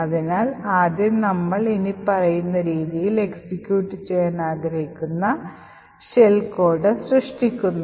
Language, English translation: Malayalam, So, first of all we create the shell code that we we want to execute as follows